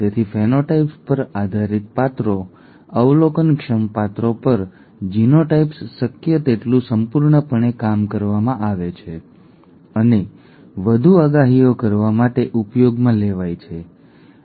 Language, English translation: Gujarati, So based on the phenotypes the characters the observable characters, the genotypes are worked out as completely as possible and used to make further predictions, okay